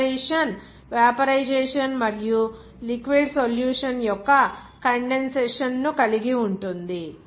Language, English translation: Telugu, The operation involves, in this case, vaporization and subsequent condensation of liquid solution